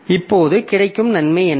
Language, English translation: Tamil, Now what is the benefit that we get